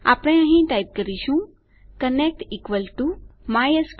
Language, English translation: Gujarati, We type here connect = mysql connect